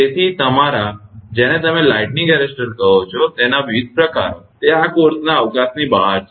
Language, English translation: Gujarati, So, different type of your what you call lightning arrester so, that were that is beyond the scope for this course